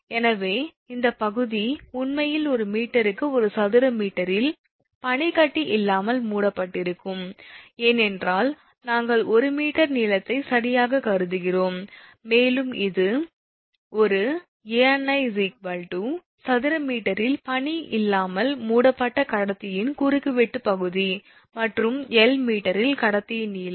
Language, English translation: Tamil, So, this area actually projected area of the conductor covered without ice in square meter per meter length, because we have consider 1 meter length right, 1 meter length and this one Ani is equal to cross section area of conductor covered without ice in square meter and your l is equal to length of the conductor in meter